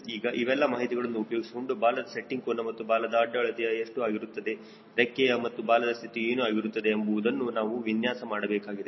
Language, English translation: Kannada, now, using this information, we have to design what will be the tail setting angle and what will be the arm, what will be the position of wing and tail airfoil